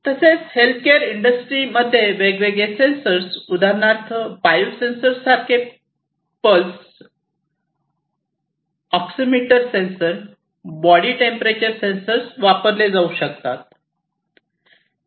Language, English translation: Marathi, Health care: in healthcare industry as well different sensors, such as the regular ones for example, different biosensors like you know this pulse oximeter sensor, body temperature sensors could be used